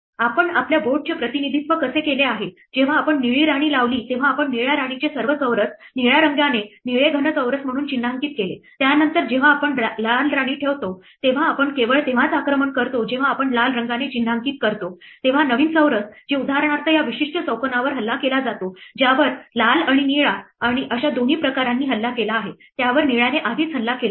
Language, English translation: Marathi, Here is how we had represented our board when we put the blue queen we marked all squares of the blue queen attacked with blue as blue solid squares then, when we put the red queen we only attack when we mark with red those squares new squares which are attacked for example, this particular square, which is attacked by both red and blue was already attacked by blue